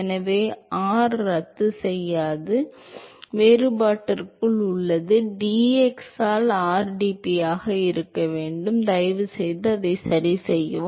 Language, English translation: Tamil, So, r does not cancel out because, it is presents inside the differential, should be rdp by dx please correct it